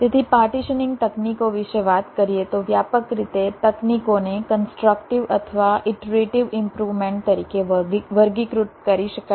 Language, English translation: Gujarati, so, talking about the partitioning techniques, broadly, the techniques can be classified as either constructive or something called iterative improvement